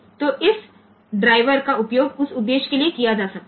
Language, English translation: Hindi, So, this driver can be used for that purpose